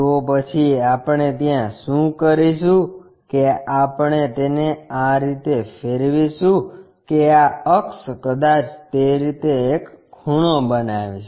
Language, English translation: Gujarati, Then, what we will do is we will rotate it in such a way that this axis may an inclination angle perhaps in that way